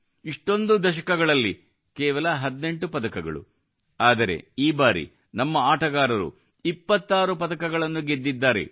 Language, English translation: Kannada, In all these decades just 18 whereas this time our players won 26 medals